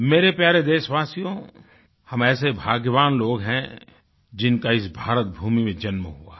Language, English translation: Hindi, My dear countrymen, as a people, we are truly blessed to be born in this land, bhoomi of Bharat, India